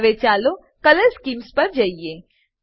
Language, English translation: Gujarati, Now lets move on to Color schemes